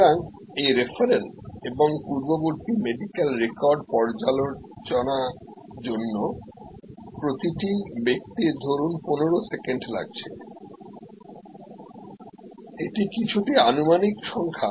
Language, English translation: Bengali, So, each person for this referral and previous medical record review, suppose needs 15 seconds these are somewhat hypothetical numbers